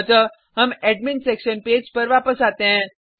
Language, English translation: Hindi, So, we come back to Admin Section Page